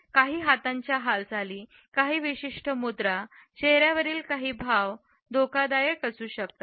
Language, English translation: Marathi, There may be some hand movements, certain postures, certain facial expressions which can be threatening and menacing